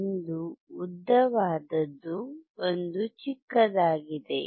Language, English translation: Kannada, One is longer one, one is a shorter one